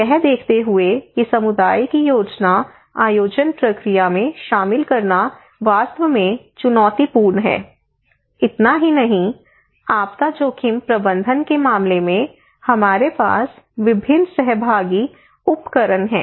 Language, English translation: Hindi, Given that it is a really challenging to incorporate community into the planning process, not only that, we have different participatory tools